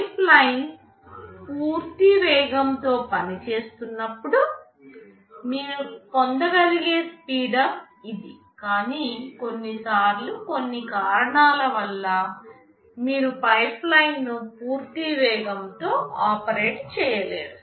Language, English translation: Telugu, It is the speedup you can get when the pipeline is operating in its full speed, but sometimes due to some reason, you cannot operate the pipeline at full speed